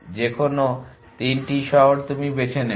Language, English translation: Bengali, Any 3 cities you pick up any 3 cities